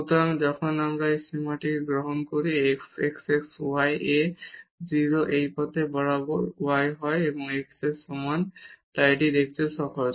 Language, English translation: Bengali, So, when we take this limit here f x at x y goes to 0 along this path y is equal to x this is easy to see